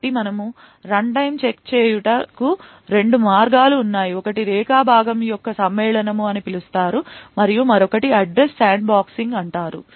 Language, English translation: Telugu, So, there are two ways in which we could do runtime check one is known as Segment Matching and the other one is known as Address Sandboxing